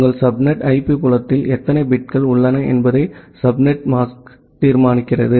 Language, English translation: Tamil, The subnet mask determines that how many number of bits are there in your subnet IP field